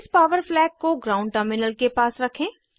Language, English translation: Hindi, Place this power flag near the ground terminal